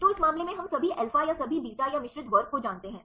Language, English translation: Hindi, So, in this case we know the all alpha or all beta or the mixed class